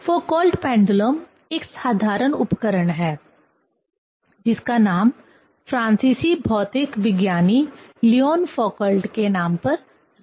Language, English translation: Hindi, Foucault pendulum is a simple device named after the French physicist Leon Foucault